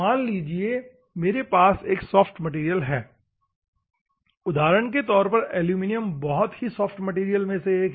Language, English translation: Hindi, Assume that I have a soft material, for example; one of the soft materials is aluminum